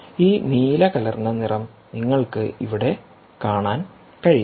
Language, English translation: Malayalam, you can see this blue, one bluish colour here